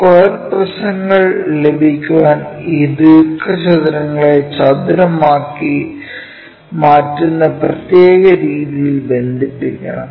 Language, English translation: Malayalam, To get square prisms we have to connect these rectangles in such a way that from this view it makes square